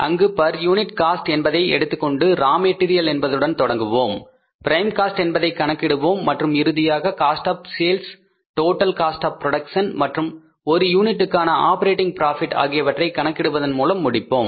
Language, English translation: Tamil, That will be a complete cost sheet where we will start from the raw material, we will calculate the prime cost, then we will end up by calculating the cost of sales by taking into account the per unit cost, the total cost of production and calculating the per unit operating profit